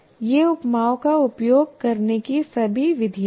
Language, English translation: Hindi, These are all the methods of using similes and analogies